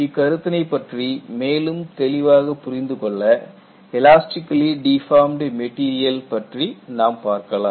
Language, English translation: Tamil, And just to understand the concepts further, I show the elastically deformed material here